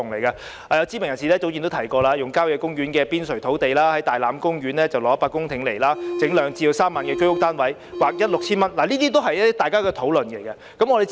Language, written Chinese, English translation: Cantonese, 有知名人士早前曾提出使用郊野公園的邊陲土地，在大欖公園撥地100公頃興建兩三萬個居屋單位，並把呎價劃一為 6,000 元等。, Earlier on some renowned people have proposed using the periphery of country parks and allocating 100 hectares of the land of the Tai Lam Country Park for the construction of 20 000 to 30 000 HOS units to be sold at a standardized per - square - foot cost of 6,000